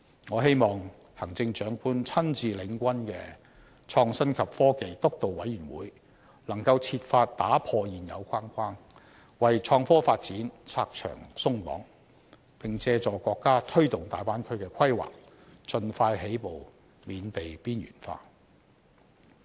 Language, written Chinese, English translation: Cantonese, 我希望行政長官親自領軍的創新及科技督導委員會，能夠設法打破現有框架，為創科發展"拆牆鬆綁"，並借助國家推動大灣區的規劃，盡快起步，免被邊緣化。, I hope that the Steering Committee on Innovation and Technology led personally by the Chief Executive will try to break away from conventions and remove obstacles in innovation and technology development . I also hope that by capitalizing on the countrys development of the Bay Area Hong Kong can expeditiously make a start in innovation and technology development to avoid being marginalized